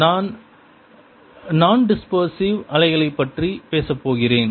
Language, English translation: Tamil, i am going to talk about non dispersive waves